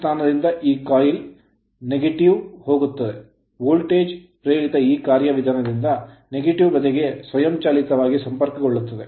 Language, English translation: Kannada, The here this coil position from plus when it will go to the negative voltage induced automatically it will be connected to the negative side by this mechanism